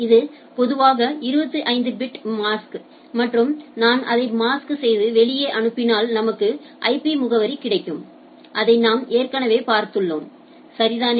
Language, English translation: Tamil, And this is typically a mask of 25 bit and if I mask it out and we get that IP address that already you have seen right